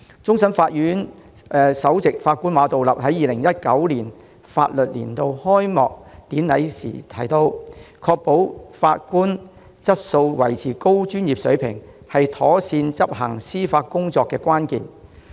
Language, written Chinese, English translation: Cantonese, 終審法院首席法官馬道立在2019年法律年度開幕典禮上提到，確保法官質素及維持高專業水平，是妥善執行司法工作的關鍵。, As pointed out by Mr Geoffrey MA Chief Justice of the Court of Final Appeal CFA at the Ceremonial Opening of the Legal Year 2019 it is vital that the quality of judges remains high and the maintenance of high standards is key to the proper administration of justice